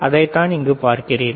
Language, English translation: Tamil, What you see here